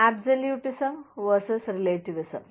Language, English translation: Malayalam, Absolutism versus relativism